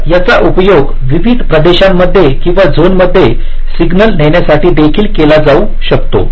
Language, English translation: Marathi, so this can also be used to carry the signal to various regions or zones